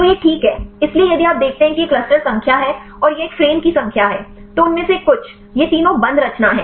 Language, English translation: Hindi, So, that is fine; so if you see this is the cluster number and this is number of a frames, some of them; these three are the closed conformation